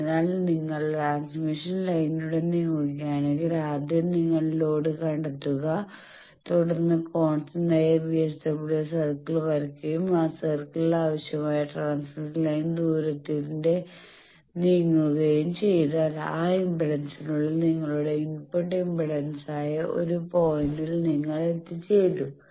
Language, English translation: Malayalam, Again the same think first you locate the load then you draw the constant VSWR circle and in that circle you moved by the requisite transmission line distance you will be arriving at a point that is your input impedance within that impedance you then need to convert you admittance and reverse the answer